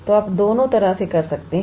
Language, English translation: Hindi, So, either way would do